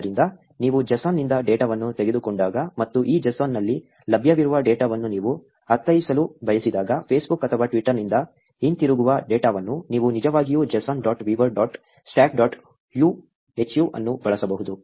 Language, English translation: Kannada, So, when you take the data from JSON, and when you want to interpret the data that is available in this JSON, data that is coming back from Facebook or Twitter, you can actually use JSON dot viewer dot stack dot hu